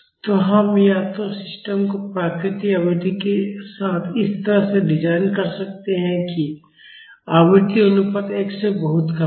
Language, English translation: Hindi, So, we can either design the system with the natural frequency such a way that the frequency ratio is much less than 1